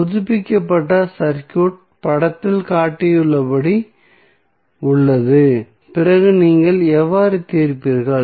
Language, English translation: Tamil, So, the updated circuit is as shown in the figure then you will see that how you will solve